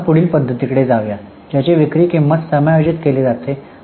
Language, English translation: Marathi, Now let us go to the next method that is adjusted selling price